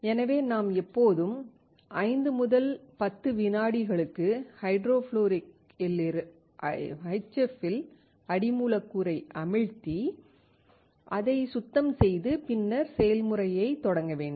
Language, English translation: Tamil, Thus, we have to always dip the substrate in HF for 5 to 10 seconds, clean it and then start the process